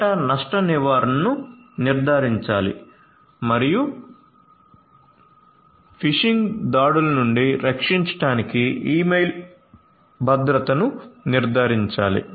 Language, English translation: Telugu, Data loss prevention should be ensured and email security should be ensured to protect against phishing attacks